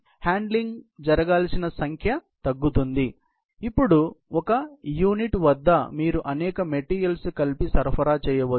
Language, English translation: Telugu, So, that number of times the handling has to happen goes down, because now at a unit, you can supply many material together